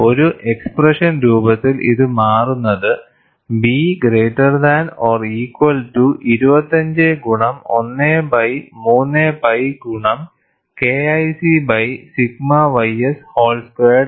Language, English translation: Malayalam, And in an expression form, it turns out to be, B is greater than or equal to 25 into 1 by 3 pi multiplied by K1C by sigma y s whole squared